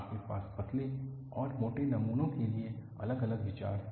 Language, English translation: Hindi, You have different recommendations for thin and thick specimens